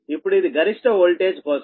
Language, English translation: Telugu, now, this is for the maximum voltage